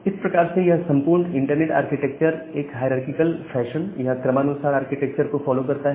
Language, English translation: Hindi, So, that way this entire internet architecture they follows a hierarchical fashion or a hierarchical architecture